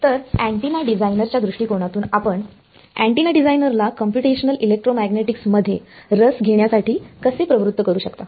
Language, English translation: Marathi, So, from an antenna designer point of view why would, how can you motivate an antenna designer to get interested in computational electromagnetics